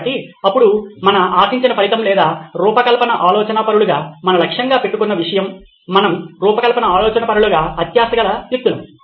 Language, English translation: Telugu, So, now our desired result or stuff that we are aiming for as design thinkers is we are greedy people design thinkers